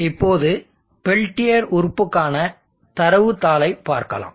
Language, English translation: Tamil, Let us now have a look at the data sheet for the peltier element